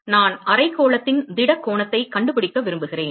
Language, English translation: Tamil, I want to find the solid angle of hemisphere